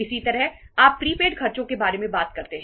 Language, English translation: Hindi, Similarly, you talk about the prepaid expenses